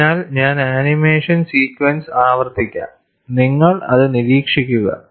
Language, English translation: Malayalam, I will just repeat the animation sequence, you just observe